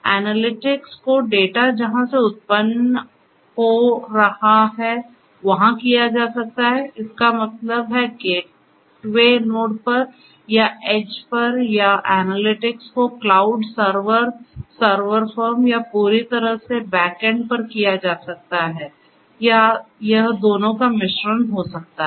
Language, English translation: Hindi, The analytics could be performed close to the point of generation; that means, at the gateway node or at the edge or the analytics could be performed completely at the back end, in the cloud, the server, the server firm and so on or it could be a mix of both